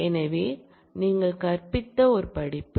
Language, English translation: Tamil, So, and the one course taught by you